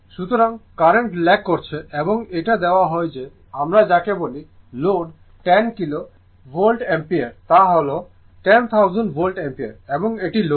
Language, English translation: Bengali, So, current is lagging right and it is given that you are what you call this is the load 10 kilo Volt Ampere that is 10000 Volt Ampere and this is the load